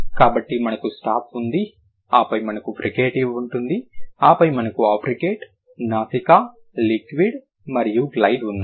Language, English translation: Telugu, So, we have stop, then we have fricative, then we have africate, nasal, liquid and glide